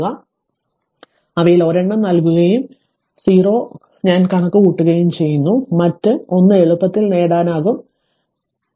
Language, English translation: Malayalam, So, then and 1 of them is given and i 0 also we have computed so other 1 easily you can get it, so let me clear it